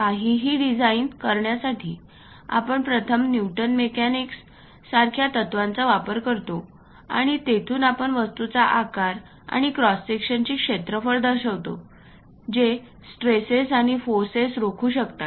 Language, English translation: Marathi, To design anything, we use first principles like Newton mechanics, and from there we represent object size, cross sectional areas which can withhold the stresses and forces